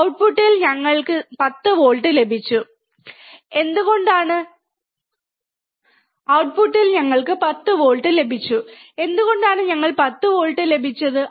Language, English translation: Malayalam, And we got 10 volts at the output, why we got 10 volts at the output